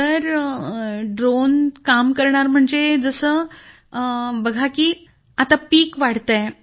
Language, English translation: Marathi, Sir, the drone will work, when the crop is growing